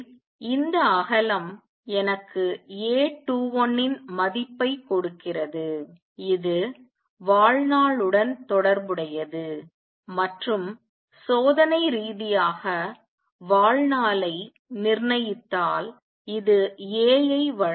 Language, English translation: Tamil, So, this width gives me the value of A 21 it is also related to lifetime and experimentally if we determine the lifetime this gives A